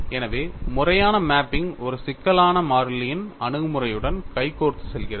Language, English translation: Tamil, So, conformal mapping goes hand in hand with complex variables approach and what is the advantage